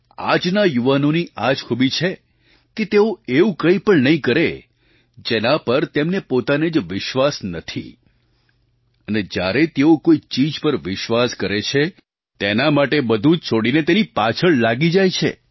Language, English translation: Gujarati, Today's youths have this special quality that they won't do anything which they do not believe themselves and whenever they believe in something, they follow that leaving everything else